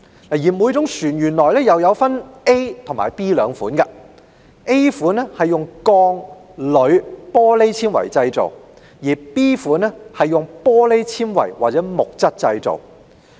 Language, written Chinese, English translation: Cantonese, 所有船隻可分類為 A 類或 B 類 ，A 類是用鋼、鋁、玻璃纖維製造 ，B 類是用玻璃纖維或木質製造。, Every vessel shall be categorized into Category A or B; Category A vessels are made from steel aluminium or glass reinforced plastic and Category B vessels are made from glass reinforced plastic or wood